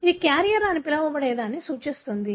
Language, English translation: Telugu, That denotes what is called as carrier